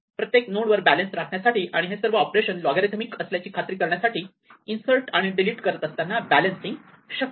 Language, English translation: Marathi, So, it is possible while doing insert and delete to maintain balance at every node and ensure that all these operations are logarithmic